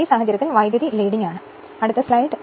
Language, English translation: Malayalam, In this case current is leading right